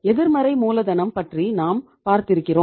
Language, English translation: Tamil, I just talked to you about the negative working capital